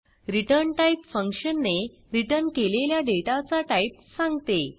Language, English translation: Marathi, ret type defines the type of data that the function returns